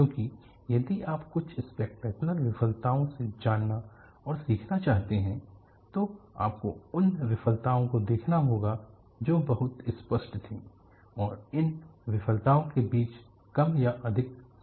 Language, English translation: Hindi, Because if you want to go and learn from some of the spectacular failures, you will have to look at the kind of features that was very obvious, and more or less common between these failures